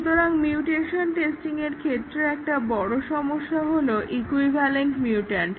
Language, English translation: Bengali, So, the problems with the mutation testing, one big problem is equivalent mutant